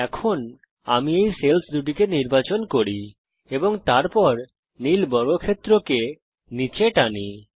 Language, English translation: Bengali, Now If I select these two cells and then drag the blue square down let me move this here